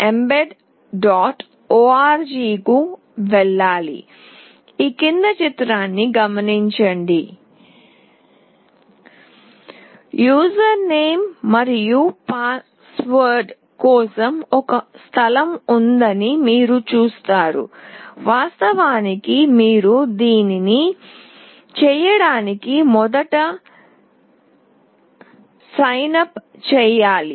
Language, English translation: Telugu, org Then you see that there is a place for user name and password; of course, you have to first signup to do this